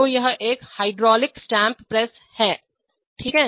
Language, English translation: Hindi, So it is a hydraulic stamp press, okay